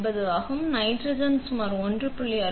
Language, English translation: Tamil, 9, nitrogen is about 1